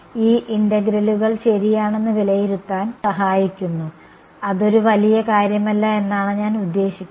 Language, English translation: Malayalam, It just helps in evaluating these integrals ok; I mean it’s not a big deal